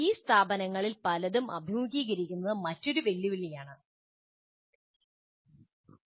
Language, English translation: Malayalam, That is another challenge that many of these institutions have to face